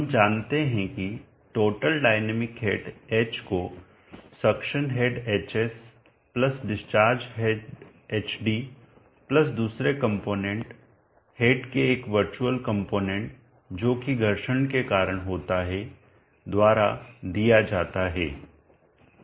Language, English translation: Hindi, We know that the total dynamic head H is given by the suction head hs, plus the discharge head hd, plus another component or virtual component of the head which is due to friction loss